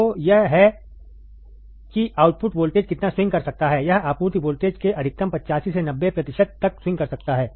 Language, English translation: Hindi, So, this is how much the output voltage can swing, it can swing for a maximum upto 85 to 90 percent of the supply voltage